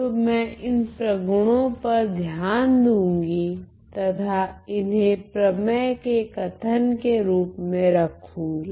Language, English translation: Hindi, So, I am going to consider these properties and state them as a theorem